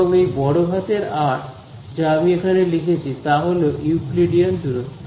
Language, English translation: Bengali, And, this capital R that I have written over here is simply the Euclidean distance